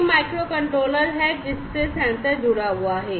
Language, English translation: Hindi, So, this is this microcontroller to which the sensor is getting connected